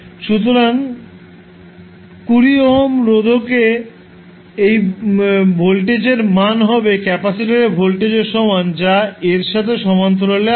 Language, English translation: Bengali, So what will be the value of voltage across 20 ohm resistor which is in parallel with capacitor